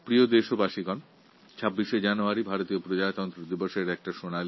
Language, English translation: Bengali, On 26th January we celebrate Republic Day